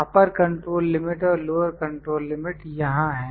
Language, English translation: Hindi, Upper control limit and lower control limit is there